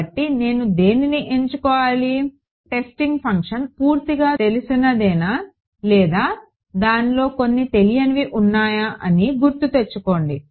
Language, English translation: Telugu, N i e so, remember is the testing function fully known or does it have some unknowns inside it